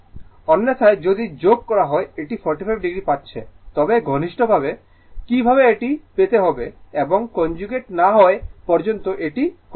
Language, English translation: Bengali, Otherwise, if you add this we are getting 45 degree, but mathematically how we get it unless and until we take the conjugate that is why let me cleat it